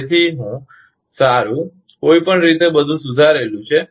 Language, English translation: Gujarati, So, well anyway, everything is corrected